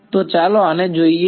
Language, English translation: Gujarati, So, let us look at these